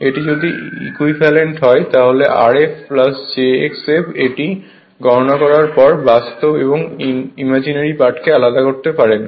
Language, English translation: Bengali, If you make it equivalent say if you make R f plus j x f in this form you can separate real after making this computation you can separate the real and imaginary part